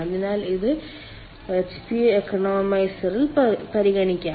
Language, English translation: Malayalam, so this can be considered at hp economiser